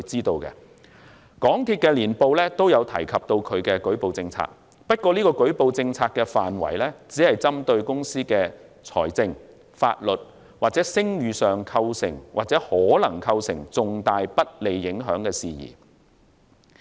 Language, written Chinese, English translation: Cantonese, 港鐵公司的年報也有提及其舉報政策，不過這個舉報政策的範圍只針對公司的財政、法律或聲譽上構成或可能構成重大不利影響的事宜。, MTRCL also mentions its whistle - blowing policy in its annual report . But the scope of this policy only covers concerns which have or could have significant adverse financial legal or reputational impacts on the company